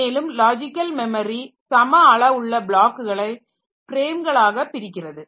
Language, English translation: Tamil, And divide the logical memory into blocks of same size as frames called pages